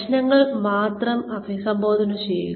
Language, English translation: Malayalam, Address only the issues